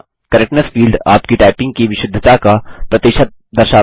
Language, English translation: Hindi, The Correctness indicator displays the percentage correctness of typing